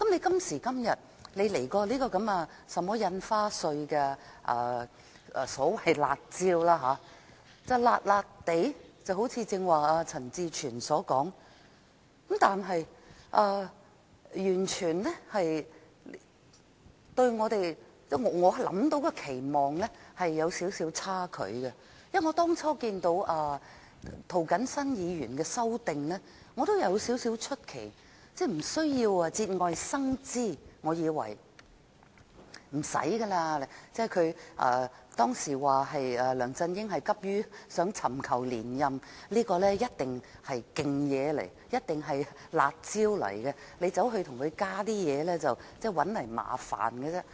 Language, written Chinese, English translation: Cantonese, 今時今日，政府推出這項有關印花稅的所謂"辣招"，它是有點兒"辣"，一如剛才陳志全議員所說，但卻與我所期望的有少許差距，因為我當初看到涂謹申議員的修正案也感到少許出奇，我以為無須節外生枝，梁振英當時只急於尋求連任，推出這項措施必定是"辣招"，大家再加進其他東西，只會自找麻煩。, Now that the Government has introduced this so - called spicy measure relating to the stamp duty . Yes it is a bit spicy just as Mr CHAN Chi - chuen said earlier but it still falls a little short of my expectation . I was a bit taken by surprise when I first saw Mr James TOs amendment as I thought that it would be unnecessary to make things complicated